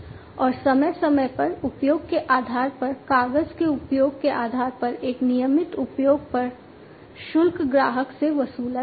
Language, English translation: Hindi, And on a regular use on a paper use kind of basis, based on the periodic usage, the fees are going to be charged to the customer